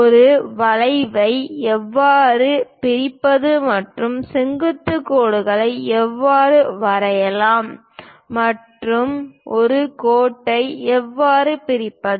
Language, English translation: Tamil, How to bisect an arc and how to draw perpendicular lines and how to divide a line